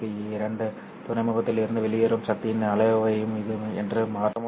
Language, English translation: Tamil, What will also change is the amount of the power that goes out of these two ports